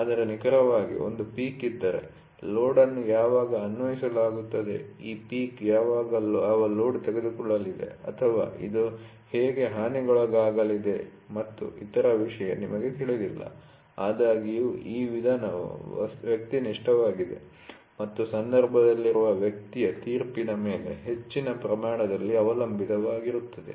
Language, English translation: Kannada, But exactly if there is a peak then, you do not know when the load is applied, what is the load this peak is going to take or how is this going to get damaged and other thing; however, this method is also subjective in nature, and depends on large extent on the judgement of the person which is in touch